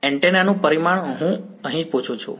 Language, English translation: Gujarati, Dimension of antenna is what I am asking here